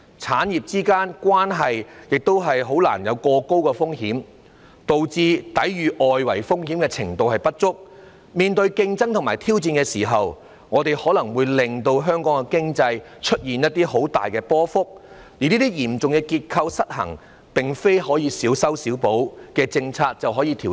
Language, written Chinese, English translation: Cantonese, 產業之間的關聯度過高，導致抵禦外圍風險的能力不足，在面對競爭和挑戰時，可能會令經濟表現大幅波動，而這些嚴重的結構失衡，並非小修小補式的政策便可以調整。, The interrelationships among industries are too high thus resulting in an inadequate ability to withstand the risks associated with the uncertainties of the external environment . In the face of competition and challenges great fluctuations in economic performance may occur . These serious structural imbalances cannot be fixed by policies that amount to only small patch - ups